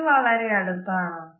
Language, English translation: Malayalam, Is this too close